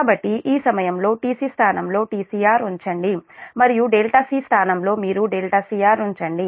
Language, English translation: Telugu, so in this equation, just in place of t c you put t c r and in place of delta c you put delta c r